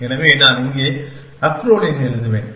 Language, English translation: Tamil, So, I will just write the acrolein here